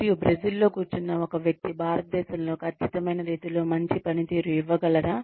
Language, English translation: Telugu, And, will a person sitting in Brazil, be able to perform, in the exact same manner in India